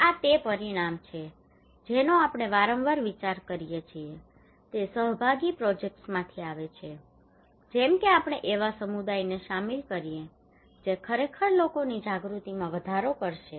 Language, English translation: Gujarati, These are outcomes that we often consider that comes from participatory projects like if we involve community that will actually increase peoples awareness